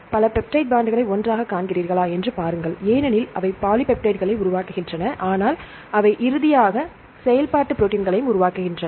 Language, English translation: Tamil, See if you see many peptide many peptides they form together, they form polypeptides right, but and then finally, they form the functional protein